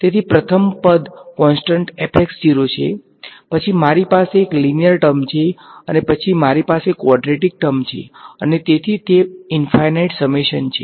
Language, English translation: Gujarati, So, the first term is constant f of x naught, then I have a linear term and then I have quadratic term and so on right and it is a infinite summation